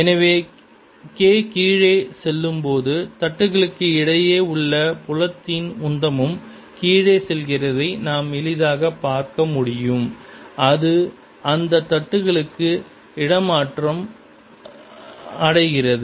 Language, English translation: Tamil, so we can easily see, as k goes down, the momentum of the field between the plates goes down and that is transferred to the plates